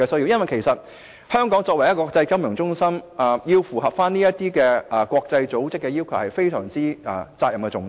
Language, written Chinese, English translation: Cantonese, 因為香港作為國際金融中心，必須符合這些國際組織的要求，責任實在非常重大。, As Hong Kong is an international financial centre it must meet the requirements of these international organizations and the responsibilities are indeed great